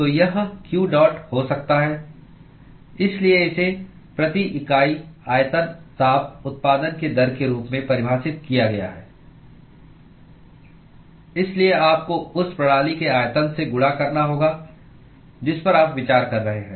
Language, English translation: Hindi, So, that could be q dot so this is defined as rate of heat generation per unit volume; so therefore you have to multiply by the volume of the system that you are considering